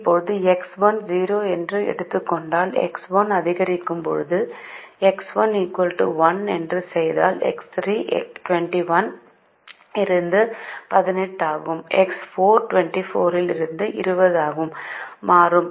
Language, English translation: Tamil, now if we make x one equal to one, then x three will become eighteen from twenty one, x four will become twenty from twenty four